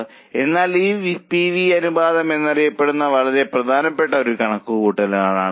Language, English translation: Malayalam, So, this is a very important calculation for us known as PV ratio